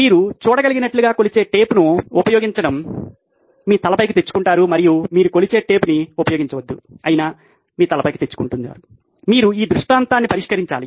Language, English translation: Telugu, But as you can see, use the measuring tape off goes your head and you don’t use measuring tape off goes your head, you have to solve this scenario